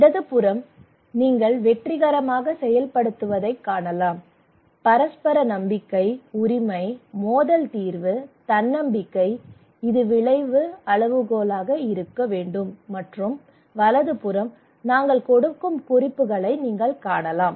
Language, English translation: Tamil, And the left hand side you can see successful implementation, mutual trust, ownership, conflict resolution, self reliance this should be the outcome criterion and right hand side you can see the references we give